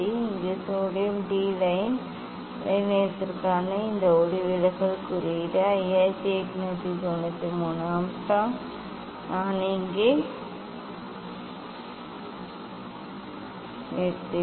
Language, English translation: Tamil, Here this refractive index for sodium D line wavelength is 5893 angstrom I will stop here